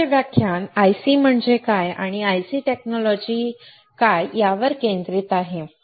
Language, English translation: Marathi, The today's lecture is focused on what are ICs and what are IC technologies